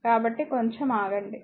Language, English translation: Telugu, So, just hold on